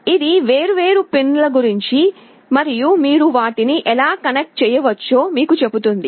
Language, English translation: Telugu, This tells you about the different pins and exactly how you can connect them